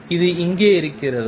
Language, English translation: Tamil, Is it here